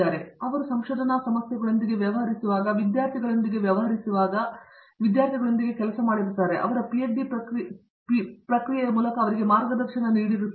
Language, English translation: Kannada, So, he has a lot of experience in dealing with research issues, dealing with students, working with students and guiding them through their PhD process